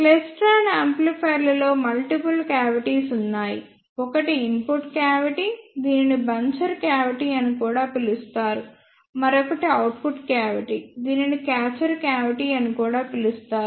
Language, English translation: Telugu, In klystron amplifiers, they are there are multiple cavities, in klystron amplifiers there are multiple cavities; one is input cavity which is also called as buncher cavity; another one is output cavity which is also called as catcher cavity